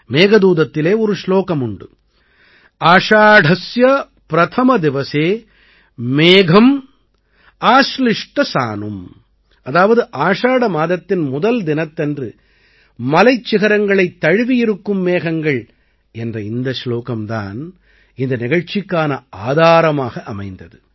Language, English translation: Tamil, There is a verse in Meghdootam Ashadhasya Pratham Diwase, Megham Ashlishta Sanum, that is, mountain peaks covered with clouds on the first day of Ashadha, this verse became the basis of this event